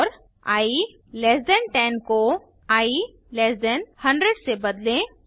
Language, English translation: Hindi, And i less than 10 to i less than 100